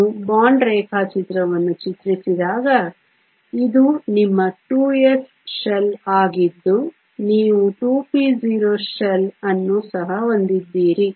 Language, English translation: Kannada, When you draw the bond diagram this is your 2 s shell which you also have the 2 p 0 shell